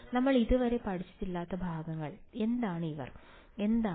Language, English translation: Malayalam, The parts which we have not studied, so far are what are these guys and what are these guys